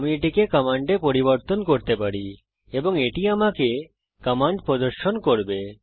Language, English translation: Bengali, I can change it to command and it will show me the command